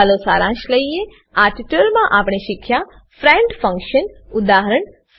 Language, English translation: Gujarati, Let us summarize: In this tutorial we learned Friend function